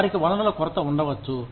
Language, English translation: Telugu, They may have a lack of resources